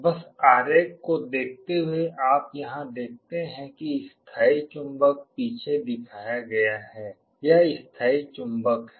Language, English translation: Hindi, Just looking into the diagram you see here the permanent magnet is shown in the back this is the permanent magnet